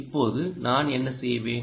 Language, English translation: Tamil, ok, then, what i will do